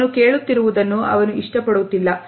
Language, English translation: Kannada, He does not like what he hears, he does not like what he sees